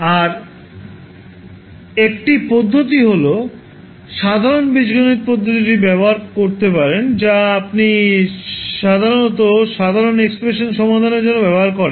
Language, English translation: Bengali, Another method is that you can use simple algebraic method, which you generally use for solving the general expressions